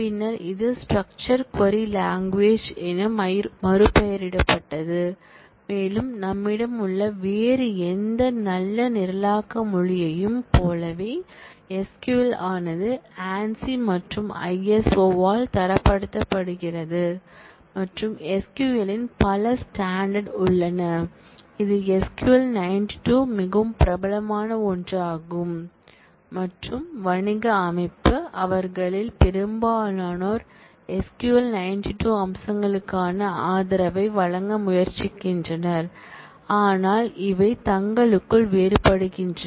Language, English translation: Tamil, SQL was originally called IBM sequel language and was a part of system R, it was subsequently renamed as structured query language and like any other good programming language that we have, SQL also gets standardized by ANSI and ISO and there have been several standards of SQL, that has come up with SQL 92 being the most popular one, and the commercial system, most of them try to provide support for SQL 92 features, but they do vary between themselves